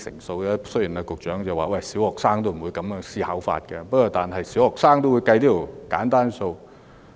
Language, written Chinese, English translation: Cantonese, 雖然局長說小學生不會這樣思考，但小學生也懂得計算這樣簡單的數學題。, The Secretary said that even primary school students would not think in this way but it is some simple mathematics that can be understood by primary school students